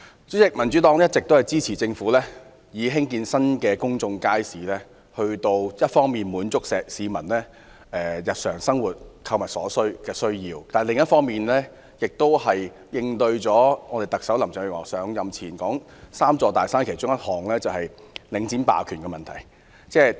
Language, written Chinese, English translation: Cantonese, 主席，民主黨一直支持政府興建新的公眾街市，一方面為滿足市民日常生活購物的需要，另一方面，是為應對特首林鄭月娥上任前所承諾會處理"三座大山"之一的領展霸權的問題。, President the Democratic Party has always supported the Government in building new public markets . On the one hand they meet the shopping needs of the people on the other hand they can tackle the issue of property hegemony by Link Real Estate Investment Trust Link REIT one of the three big mountains the Chief Executive Carrie LAM promised to deal with before she took office